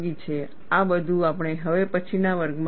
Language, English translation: Gujarati, All these, we would see in the next class